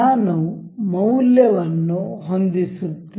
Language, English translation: Kannada, I am setting a value